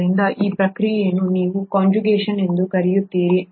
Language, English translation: Kannada, So this process is what you call as conjugation